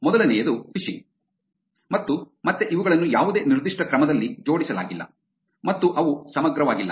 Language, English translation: Kannada, The first one which is phishing, and again these are not arranged in any particular order and they are not comprehensive at all